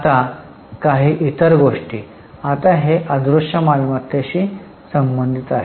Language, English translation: Marathi, Now this is related to intangible assets